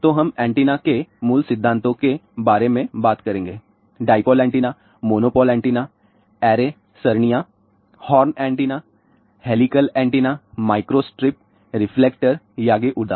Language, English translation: Hindi, So, we will talk about fundamentals of antennas dipole antenna monopole antenna arrays horn antenna helical antenna microstrip reflector yagi uda